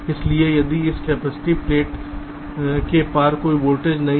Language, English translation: Hindi, so across this capacitive plate there is no voltage